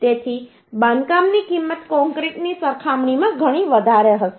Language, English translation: Gujarati, So construction cost will be quite high as compare to concrete